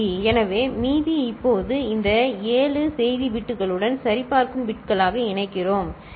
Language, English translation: Tamil, So, that remainder now we attach as check bits to this 7 message bits, ok